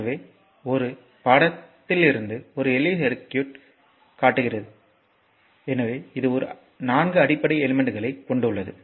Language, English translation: Tamil, So, just will come to the figure one is shows a simple electric circuit right so, it consist of 4 basic elements look